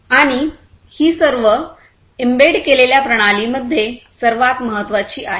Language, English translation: Marathi, And this is the most important of all embedded systems